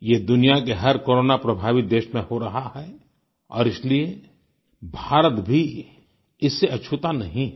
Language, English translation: Hindi, This is the situation of every Corona affected country in the world India is no exception